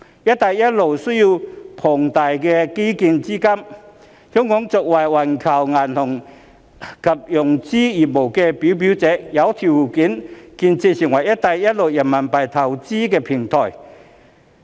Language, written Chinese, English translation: Cantonese, "一帶一路"建設需要龐大的基建資金，香港作為環球銀行及融資業務的表表者，有條件建設成為"一帶一路"人民幣投融資平台。, The Belt and Road projects require huge capital input for infrastructure . Playing a leading role in global banking and financing business Hong Kong is well - positioned to function as an RMB investment and financing platform for the Belt and Road